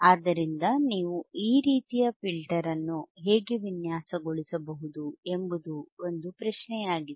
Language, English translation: Kannada, So, how you can design this kind of filter right, that is the question